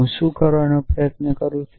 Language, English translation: Gujarati, What am I trying to do